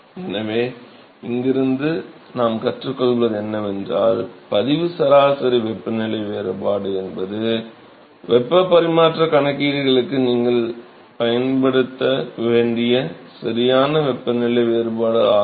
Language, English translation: Tamil, So, what we learn from here is that the log mean temperature difference is the correct temperature difference that you have to use for heat transfer calculations